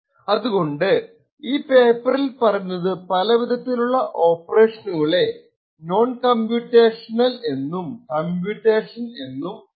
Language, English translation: Malayalam, So, what was proposed in the paper was to actually divide the type of operations into non computational and computational